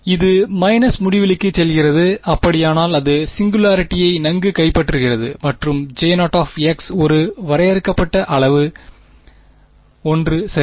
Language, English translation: Tamil, It goes to minus infinity and if so it is capturing the singularity well and J 0 as a finite quantity 1 ok